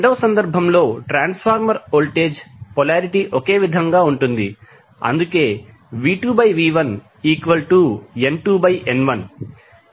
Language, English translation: Telugu, In the second case the transformer voltage polarity is same that is why V2 by V1 is equal to N2 by N1